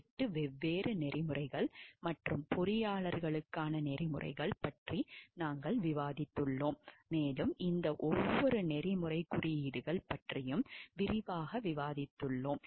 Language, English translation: Tamil, We have discussed about the 8 different codes of ethics and for engineers and we have gone through a detailed discussion of each of these codes of ethics